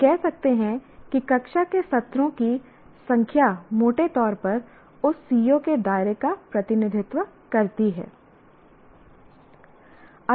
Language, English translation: Hindi, Because one can say the number of classroom sessions roughly represent the scope of that C O